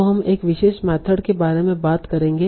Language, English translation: Hindi, So we'll talk about one particular method